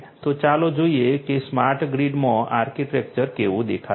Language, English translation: Gujarati, So, let us look at how the architecture is going to look like in a smart grid